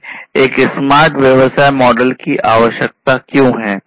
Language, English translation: Hindi, Why do we need a smart business model